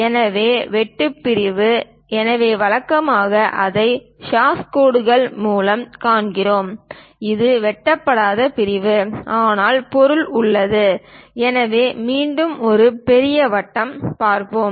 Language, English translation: Tamil, So, cut section, so usually, we show it by hash line, and this is non cut section; but material is present, so again a larger circle we will see